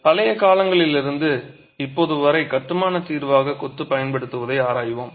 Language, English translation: Tamil, We will examine the use of masonry as a structural solution from ancient times to the present